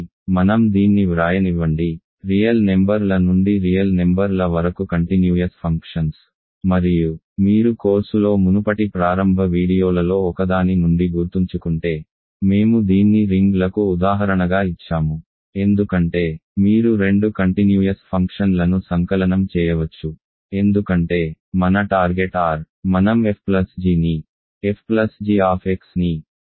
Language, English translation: Telugu, So, let me write it, continuous functions from the real numbers to real numbers and if you remember from one of the earlier earliest videos in the course, we gave this as an example of rings because you can add two continuous functions because the target is R, we can add f plus g to be f plus g of x to be fx plus gx